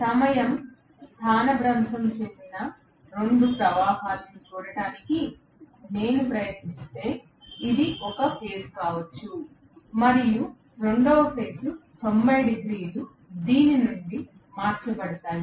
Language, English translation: Telugu, And if I try to look at the 2 currents which are time displaced, this may be 1 phase and the second phase will be 90 degree shifted from this